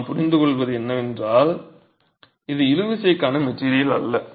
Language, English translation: Tamil, What we do understand is this is not a material that is meant for tension